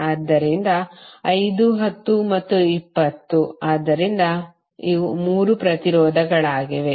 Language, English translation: Kannada, So 5, 10 and 20, so these are the 3 resistances